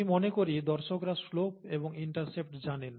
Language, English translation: Bengali, And I think this audience would know the slope and intercept, right